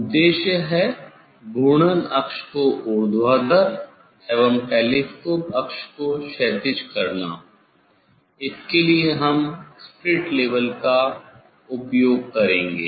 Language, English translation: Hindi, Purpose is to make rotational axis vertical and telescope axis horizontal for this for this we use the; we use the speed level; we use the speed level